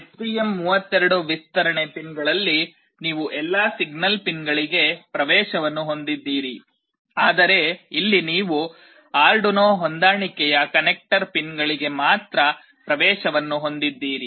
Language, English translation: Kannada, In the STM32 extension pins, you have access to all the signal pins, but here you have access to only the Arduino compatible connector pins